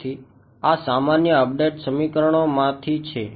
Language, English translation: Gujarati, So, this is from usual update equations ok